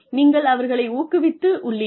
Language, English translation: Tamil, You have encouraged them